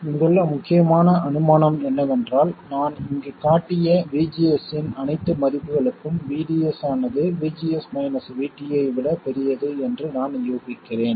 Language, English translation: Tamil, The crucial assumption here is that for all values of VGS I have shown here I have assumed saturation which means that VDS is greater than VGs minus VT